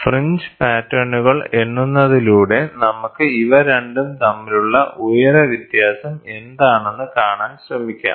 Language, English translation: Malayalam, Just by counting the fringe patterns we can try to see what is the height difference between these two